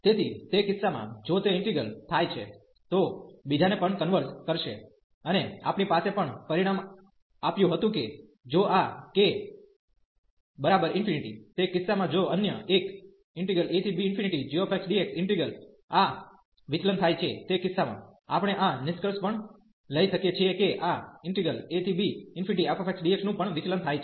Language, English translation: Gujarati, So, in that case if that integral converges the other one will also converge and we had also the result that if this k is infinity, in that case if the other one the g integral this diverges in that case we can also conclude that this f will also diverge